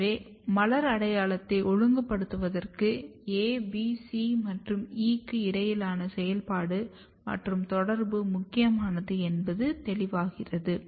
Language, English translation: Tamil, So, this is clear that the activity and interaction between A, B, C and E is important for regulating floral identity